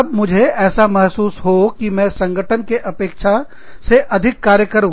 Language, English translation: Hindi, That, i feel like working more, than the organization expects me to